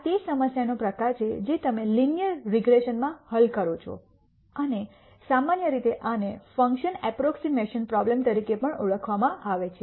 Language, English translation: Gujarati, This is the type of problem that you would solve in linear regression and in general this is also called as function approximation problem